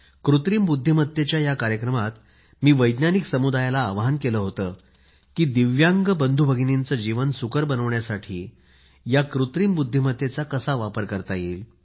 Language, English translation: Marathi, In that programme on Artificial Intelligence, I urged the scientific community to deliberate on how Artificial Intelligence could help us make life easier for our divyang brothers & sisters